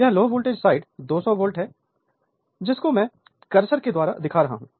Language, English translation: Hindi, So, this low voltage side voltage look at the cursor that two 200 volt